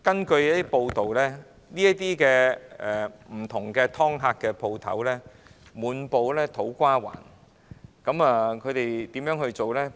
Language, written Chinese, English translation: Cantonese, 據報道，不同的"劏客"商店滿布土瓜灣，其經營手法是怎樣的？, It has been reported that there are many different kinds of rip - off shops in To Kwa Wan . How do these shops operate?